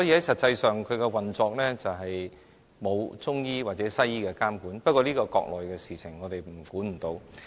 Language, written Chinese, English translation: Cantonese, 實際上，其運作並沒有中醫或西醫的監管，但這是國內的事情，我們管不了。, In fact their operation is not subject to the regulation of both the Chinese medicine profession and the Western medical authorities . But these are affairs in the Mainland and they are beyond our control